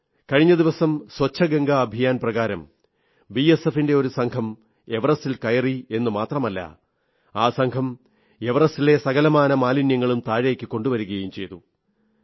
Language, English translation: Malayalam, A few days ago, under the 'Clean Ganga Campaign', a group from the BSF Scaled the Everest and while returning, removed loads of trash littered there and brought it down